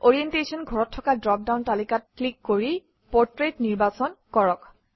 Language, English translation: Assamese, In the Orientation field, click on the drop down list and select Portrait